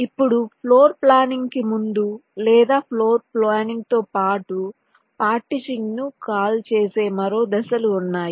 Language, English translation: Telugu, ok, fine, now before floorplanning, or along with floorplanning, there is another steps, call partitioning, which are carried out